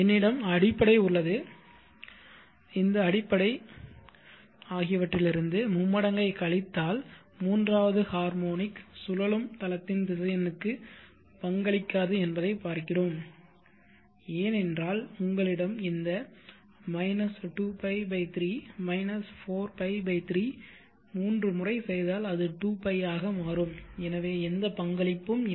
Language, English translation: Tamil, Let us say I have the fundamental this fundamental minus this tripling see the third harmonic will not contribute to the rotating space vector because you have this 2p/3 4p/3 three times if you do it will become 2p and therefore there is no contribution there is no phase difference and no contribution to the rotating space vector